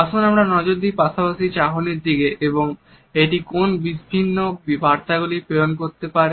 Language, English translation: Bengali, Let us look at the sideway glance and what are the different messages it may communicate